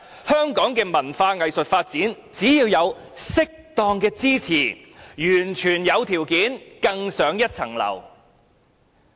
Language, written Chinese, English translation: Cantonese, 香港的文化藝術發展，只要有適當的支持，完全有條件更上層樓。, Given suitable support Hong Kong can scale new heights in cultural and arts development